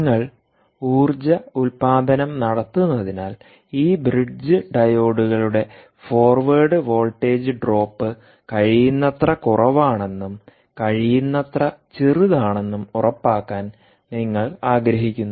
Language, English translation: Malayalam, and because you are energy harvesting, you want to ensure that the forward voltage drop of this diode, bridge diodes, ah um, is as low as possible, as small as possible ah um